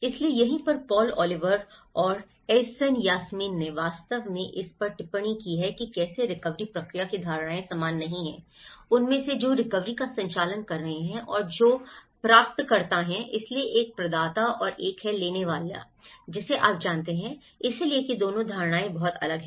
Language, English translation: Hindi, So, that is where Paul Oliver and Aysan Yasemin, they actually work commented on how the perceptions of the recovery process they are not the same, among those who are administering the recovery and those who are the recipients so, one is a provider and one is a taker you know, so, that both the perceptions are very different